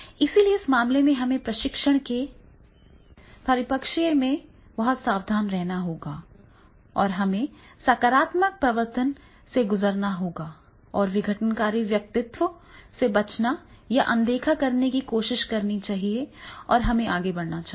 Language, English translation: Hindi, So, therefore in the in that case we have to be very careful that is in the training perspective, right, we have to go through the positive enforcement and try to avoid or ignore the disruptive personalities and we should carry on with our objective and goal to train the persons